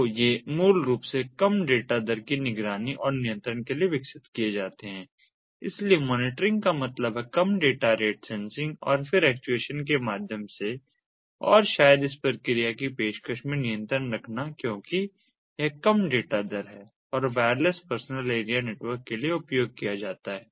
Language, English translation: Hindi, so monitoring mean sensing, low data rate, sensing ah, then control ah maybe through actuation and so on and in the process offering because it is low data rate and is used for wireless personal area network